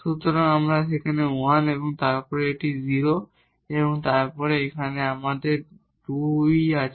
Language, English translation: Bengali, So, we have 1 there and then this is 0 and then here we have 2